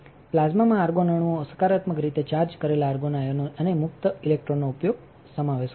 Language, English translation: Gujarati, The plasma consists of argon atoms positively charged argon ions and free electrons